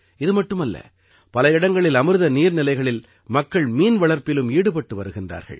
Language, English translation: Tamil, Not only this, people at many places are also engaged in preparations for fish farming in Amrit Sarovars